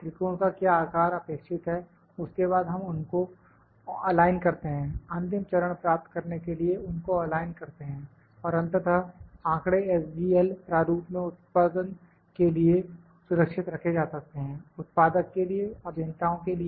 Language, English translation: Hindi, What size of a triangle to be required, then we align them, align them to get the final shape and finally, the data can be stored in the SGL format for the production, for the manufacturer, for the engineers